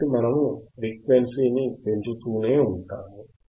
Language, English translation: Telugu, So, we will keep on increasing the frequency